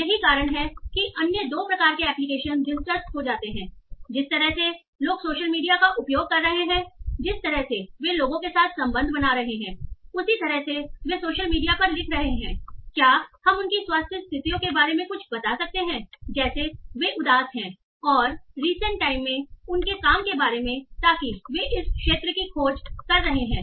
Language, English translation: Hindi, That is the way people are using social media, so by the way they are writing over social media, by the way they are making the connection with people, can we tell something about their health conditions like are they depressed and this there are works in recent times that have explored this area